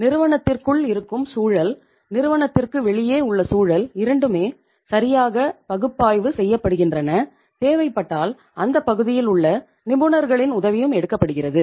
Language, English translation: Tamil, The environment inside the firm, environment outside the firm both are properly analyzed and if need arises the help of the experts in that area is also taken